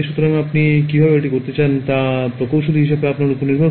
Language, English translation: Bengali, So, it is up to you as the engineer how you want to do it